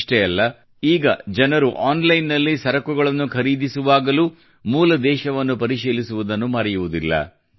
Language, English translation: Kannada, Not only that, nowadays, people do not forget to check the Country of Origin while purchasing goods online